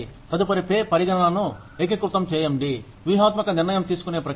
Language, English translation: Telugu, The next is integration of pay considerations into strategic decision making processes